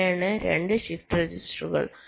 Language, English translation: Malayalam, this is the shift register